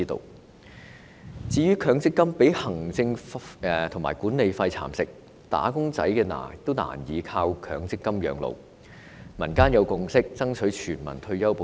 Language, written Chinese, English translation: Cantonese, 另一方面，強制性公積金計劃被行政費和管理費蠶食，"打工仔"難以靠強積金養老，民間有共識爭取全民退休保障。, On the other hand the Mandatory Provident Fund MPF schemes have been eaten up by the administrative and management fees and wage earners can hardly rely on MPF to support their living in their old age . In the community there has been a consensus on striving for universal retirement protection